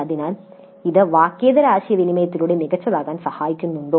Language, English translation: Malayalam, So, does it help in becoming better with non verbal communication